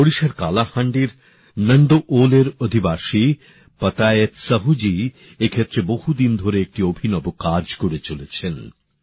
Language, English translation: Bengali, Patayat Sahu ji, who lives in Nandol, Kalahandi, Odisha, has been doing unique work in this area for years